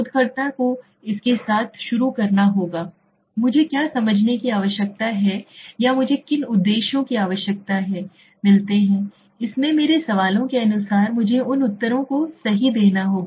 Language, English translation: Hindi, So what is that I need first of all the researcher has to start with it, what do I need to understand or what objectives do I need to meet, so accordingly my questions have to give me those answers right